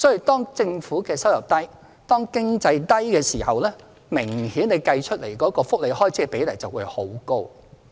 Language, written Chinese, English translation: Cantonese, 當政府收入低，經濟亦低迷時，計算出來的福利開支的比例明顯便會很高。, When the government revenue is low during a year of economic recession the percentage of welfare expenditure will obviously be very high